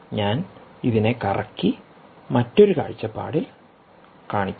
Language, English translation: Malayalam, maybe i will rotate and show you in a different perspective